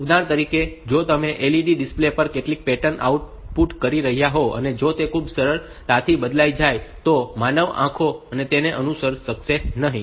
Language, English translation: Gujarati, So, for example, if you have outputted some pattern on to this LED, and LED some LED display and human eyes will not be able to follow if it is changed very fast